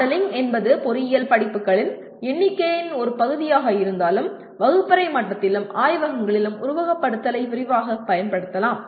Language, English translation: Tamil, While modeling is a part of number of engineering courses, simulation can be extensively used at classroom level and in laboratories